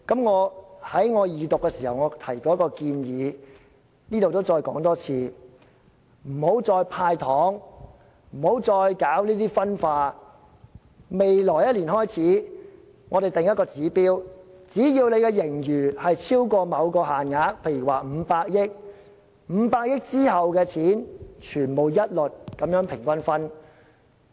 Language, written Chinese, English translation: Cantonese, 我在二讀時提到一項建議，我在這裏再說一次：不要再"派糖"，不要再搞分化，我們在未來1年開始制訂一個指標，只要盈餘超過某限額，例如500億元，在500億元之後的金錢一律平均分派。, During the Second Reading of the Bill I mentioned a proposal which I will reiterate here We should stop dishing out the sweeteners and stop working for dissimilation . Instead in the following year we will start setting a target . So long as the surplus has exceeded a certain amount say 50 billion the excess shall be shared equally by the public